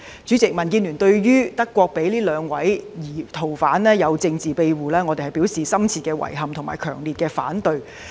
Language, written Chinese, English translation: Cantonese, 主席，對於德國向這兩名逃犯給予政治庇護，民建聯表示深切遺憾及強烈反對。, President regarding Germanys decision to grant political asylum to the two fugitives the Democratic Alliance for the Betterment and Progress of Hong Kong DAB expressed deep regrets and strong objections